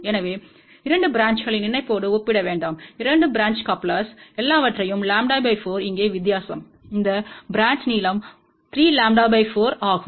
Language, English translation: Tamil, So, do not compare with the 2 branches coupler; 2 branch couplers had all the things as lambda by 4 here the difference is this branch length is 3 lambda by 4